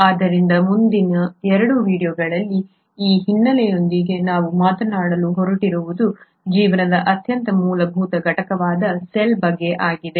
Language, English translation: Kannada, So with that background in the next 2 videos what we are going to talk about, are the very fundamental unit of life which is the cell